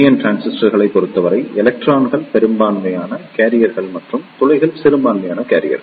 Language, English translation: Tamil, However, in case of NPN transistors, electrons are the majority carriers and holes are the minority carriers